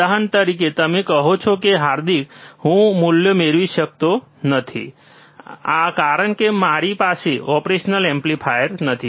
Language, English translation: Gujarati, For example, you say that, Hardik, I cannot I cannot get the values, because I do not have the operational amplifiers